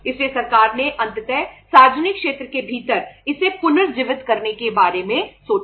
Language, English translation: Hindi, So government ultimately thought of reviving it within the public sector